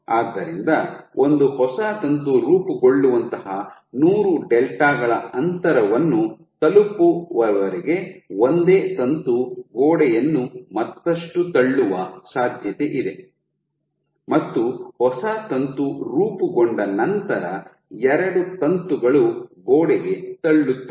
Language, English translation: Kannada, So, there is a possibility that a single filament will keep pushing the wall further and further, till you reach a distance of a 100 delta such that a new filament can form and once the new filament is formed you have 2 filaments pushing against the wall